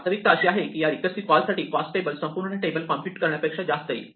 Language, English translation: Marathi, The reality is that these recursive calls will typically cost you much more, than the wastefulness of computing the entire table